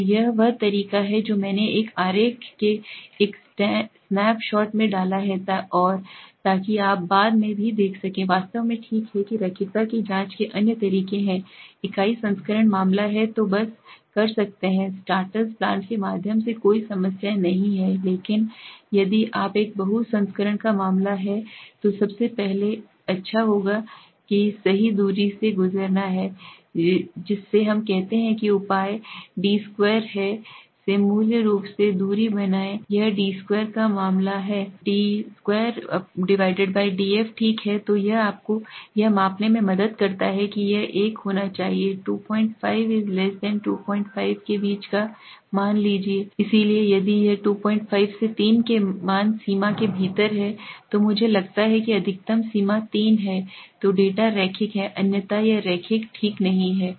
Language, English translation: Hindi, So this is the way I have put in a snap shot of a diagram and so that you can see that later on also okay in fact there are other ways of checking linearity is the unit variant case so can just do through a starter plot no issues, but if you are having a case of a multi variant then the most nice way the best way is to go through a distance right so which measures the we say the d2 by the distance basically so it measure the d2/df okay so it helps you to measure the it should have a value in between 2